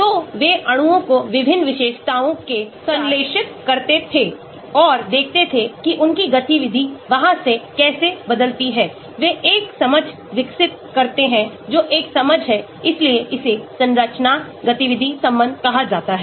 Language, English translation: Hindi, So, they used to synthesize molecules with different features and see how their activity changes from there they develop a understanding that is an understanding that is why it is called structure activity relation